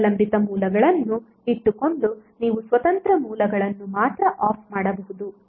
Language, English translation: Kannada, You can simply turn off only the independent sources